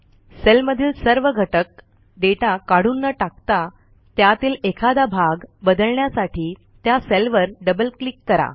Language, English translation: Marathi, In order to change a part of the data in a cell, without removing all of the contents, just double click on the cell